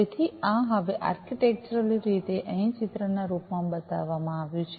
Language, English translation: Gujarati, So, this is now architecturally shown over here in the form of a picture